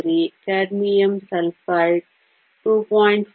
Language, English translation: Kannada, 43, cadmium sulfide is 2